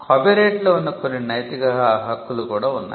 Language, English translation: Telugu, There are also certain moral rights that vest in a copyright